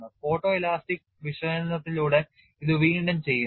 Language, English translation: Malayalam, This is again then by photo elastic analysis